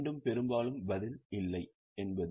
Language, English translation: Tamil, Again, mostly the answer is no